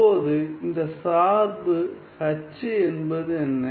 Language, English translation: Tamil, Now, what is this function H